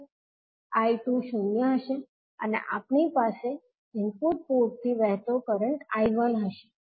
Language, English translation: Gujarati, I2 will be zero and we will have current I1 flowing from the input port